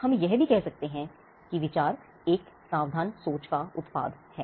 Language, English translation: Hindi, We could also say that an idea is product of a careful thinking